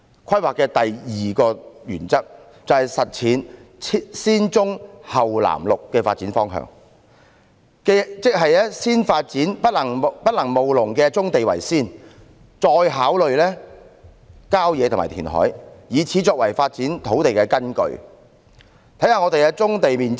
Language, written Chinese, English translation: Cantonese, 規劃的第二個原則，是實踐"先棕後綠藍"的發展方向，即先發展不能務農的棕地，再考慮郊野公園及填海，以此作為發展土地的基礎。, The second principle in planning is implementation of the development direction of brown before green and blue . That means developing brownfield sites which cannot be used for farming before considering country parks and reclamation . This should serve as the basis of land development